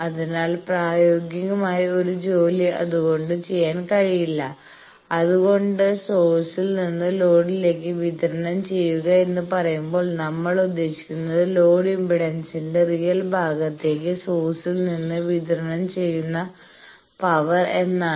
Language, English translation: Malayalam, So, no practical work or much practical work cannot be done with that; that is why when we say power delivered from source to load we mean power delivered from source to real part of load impedance that is why we are highlighted that real part